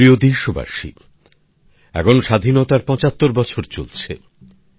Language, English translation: Bengali, This is the time of the 75th year of our Independence